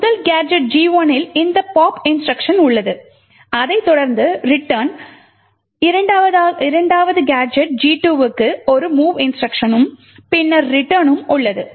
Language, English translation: Tamil, The first gadget G1 is what we have seen before and essentially has this instruction pop followed by a return, the second gadget has a mov instruction followed by a return